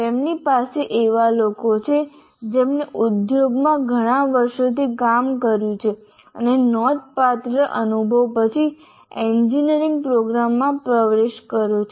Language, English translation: Gujarati, You have people who have worked for several years in the industry and are entering into an engineering program after considerable experience